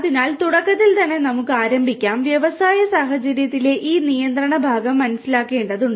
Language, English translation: Malayalam, So, let us start with at the very beginning we need to understand you know this control part in the industrial scenario